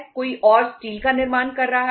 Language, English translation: Hindi, Somebody else is manufacturing glass